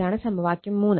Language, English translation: Malayalam, This is equation 3 right